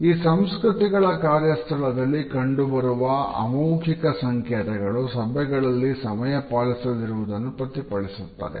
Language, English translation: Kannada, The nonverbal cues which seep into our work environment in such cultures are reflected in being non punctual during the meetings